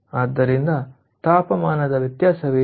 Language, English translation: Kannada, so what is the difference of temperature